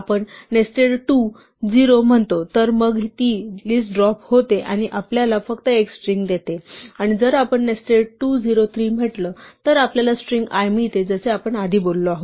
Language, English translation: Marathi, We say nested 2, 0 then it drops the list and just gives us a string and if we say nested 2, 0, 3 then we get the string l as we said before